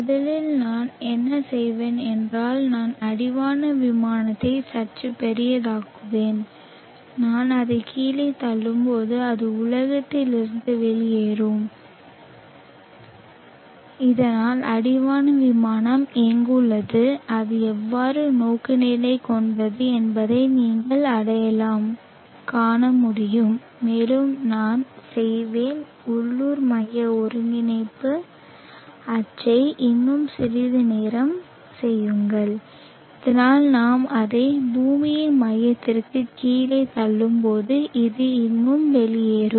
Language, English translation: Tamil, First what I will do is I will make the horizon plane a bit bigger such that when I push it down it will stick out of the globe so that you will able to recognize where the horizon plane is and how it is oriented and also I will make the coordinate axis of the local centric system little longer so that when we push it down to the center of the earth this will still project out